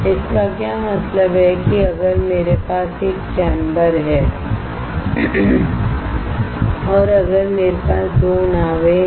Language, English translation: Hindi, What does that mean that if I have a chamber and if I have 2 boats right